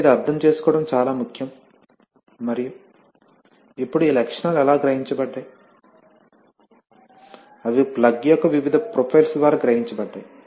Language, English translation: Telugu, So this is important to understand and now how are these characteristics realized, they are realized by various profiles of the plug, right